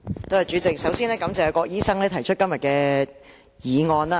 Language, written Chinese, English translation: Cantonese, 主席，首先感謝郭家麒議員提出今天這項議案。, President first I would like to thank Dr KWOK Ka - ki for proposing todays motion